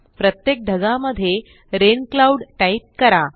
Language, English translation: Marathi, Type Rain Cloud in each cloud